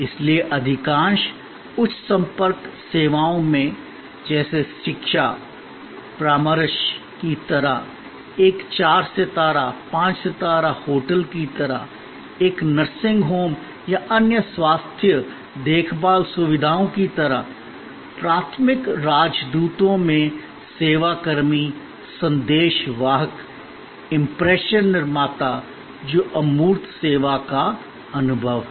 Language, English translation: Hindi, So, in most high contact services, like education, like consultancy, like a four star, five star hotel, like a nursing home or other health care facilities, the service personnel at the primary ambassadors, message conveyors, impression creators, which tangibles the intangible which is the service experience